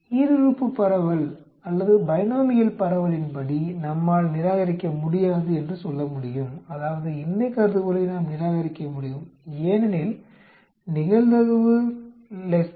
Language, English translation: Tamil, According to the binomial distribution we can say that we cannot reject the, I mean we can reject the null hypothesis because the probability comes over to be less than 0